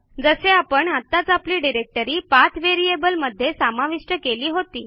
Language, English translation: Marathi, Like we had just added our directory to the PATH variable